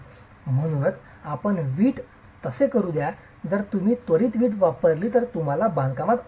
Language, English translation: Marathi, If you immediately use the brick, you are going to have problems in your construction